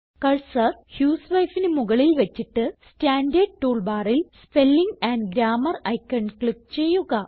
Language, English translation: Malayalam, Now place the cursor on the word husewife and click on the Spelling and Grammar icon in the standard tool bar